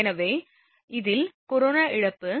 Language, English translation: Tamil, So, in this case that corona loss Pc is equal 2